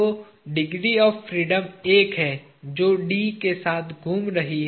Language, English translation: Hindi, So, the only degree of freedom that it has is rotating about D